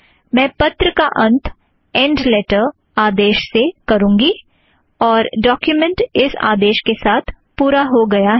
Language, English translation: Hindi, I end the letter with end letter command and then the document is completed with the end document command